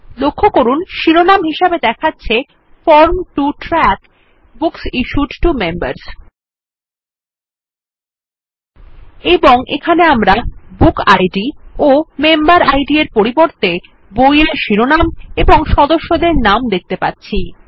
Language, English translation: Bengali, Notice the heading that says Form to track Books issued to Members And here we see book titles and member names instead of bookIds and memberIds